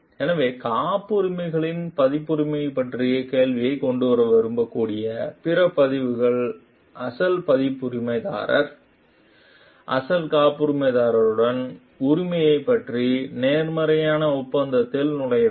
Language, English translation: Tamil, So, more other records which may like bring to a question of copyrights of patents, should enter into a positive agreement with the original copyright holder, original patent holder regarding ownership